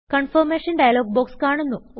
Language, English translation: Malayalam, A confirmation dialog box appears.Click OK